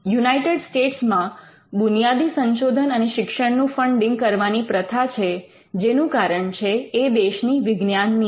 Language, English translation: Gujarati, US has this culture of funding basic research and education, lastly because of the science policy of the country